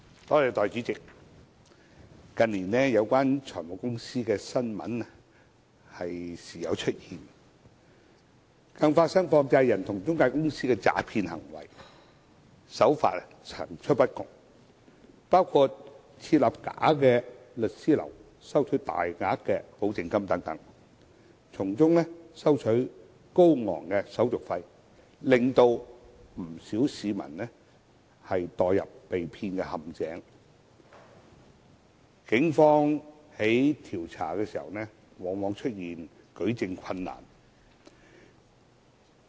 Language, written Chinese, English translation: Cantonese, 代理主席，近年有關財務公司的新聞時有出現，更發生涉及放債人與財務中介公司的詐騙行為，手法層出不窮，包括設立假律師樓收取大額保證金等，從中收取高昂手續費，令不少市民墮入被騙陷阱，但警方在調查時往往遇到舉證困難。, Deputy President the recent years have seen news reports relating to finance companies from time to time and there have even been cases of fraud involving money lenders and financial intermediaries . The practices adopted were wide - ranging such as setting up a bogus law firm to make borrowers pay deposits in large amounts and charging exorbitant administrative fees in the process causing a large number of people to fall prey to these scams